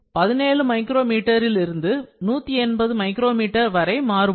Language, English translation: Tamil, So, it varies from 17 micrometer to 180 micrometers, this is human hair actually